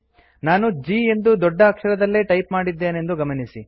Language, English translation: Kannada, Please notice that I have typed G in capital letter